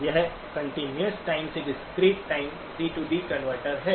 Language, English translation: Hindi, It is a continuous time to discrete time converter, C to D converter